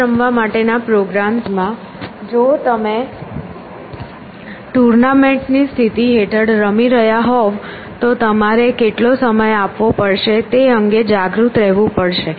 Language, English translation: Gujarati, Now, in chess playing programs if you are playing under tournament conditions you have to be a aware of how much time you have essentially